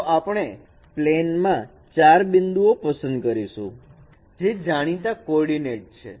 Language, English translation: Gujarati, So we select four points in a plane with known coordinates